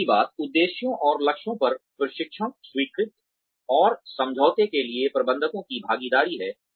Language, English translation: Hindi, The third thing is, participation of managers to train, acceptance and agreement, on objectives and targets